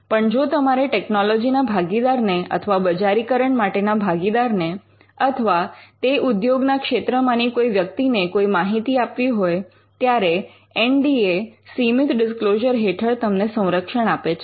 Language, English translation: Gujarati, But if you want to disclose it to a technology partner or a partner who is interested in commercializing it or a person from the industry then an NDA can protect a limited disclosure